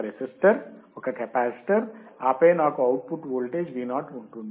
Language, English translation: Telugu, A resistor,A capacitor, and then I will have output voltage Vo